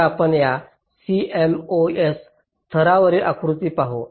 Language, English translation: Marathi, so let us look at this cmos level diagram